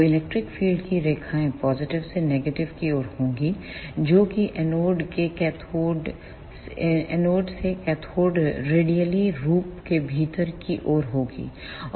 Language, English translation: Hindi, So, the electric field lines will be from positive to negative that is from anode to cathode radially inward